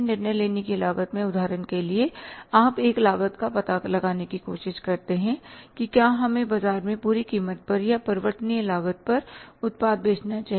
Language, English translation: Hindi, In the decision making cost say for example you try to find out a cost that whether we should sell the product in the market at the full cost or at the variable cost